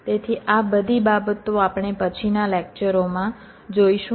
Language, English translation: Gujarati, so we shall see all this things later in the next lectures